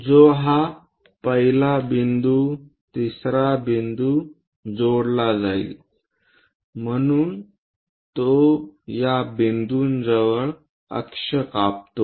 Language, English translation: Marathi, So, which will be connecting this 1st point 3rd point, so it cuts the axis at this point